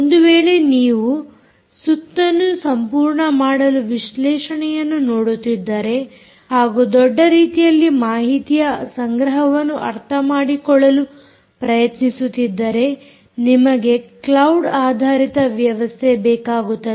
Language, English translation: Kannada, if you are really looking at completing the loop and looking at analytics and you are looking at ah, trying to understand data collection in a big way, you obviously need a cloud based system, right